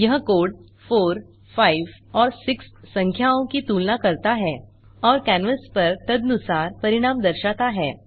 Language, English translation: Hindi, This code compares numbers 4 , 5 and 6 and displays the results accordingly on the canvas